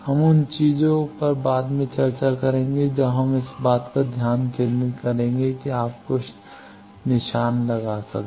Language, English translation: Hindi, We will discuss those things at a later when we will concentrate on this thing you can put some markers there is